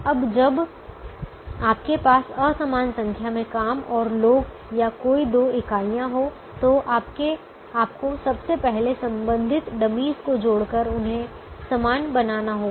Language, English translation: Hindi, now, when you have an unequal number of jobs and people or any two entities of you first have to make them equal by adding corresponding dummy's